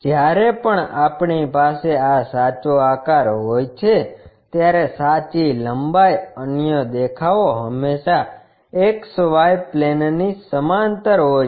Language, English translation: Gujarati, Whenever we have this true shape, true lengths other views always be parallel to XY plane